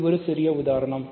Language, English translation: Tamil, So, this is just an example